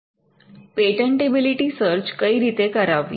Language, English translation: Gujarati, How to order a patentability search